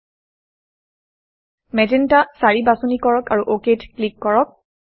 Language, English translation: Assamese, Choose Magenta 4 and click OK